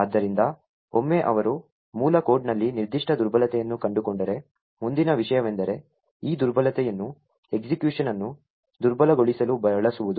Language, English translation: Kannada, So, once he has found a particular vulnerability in the source code, the next thing is to use this vulnerability to subvert the execution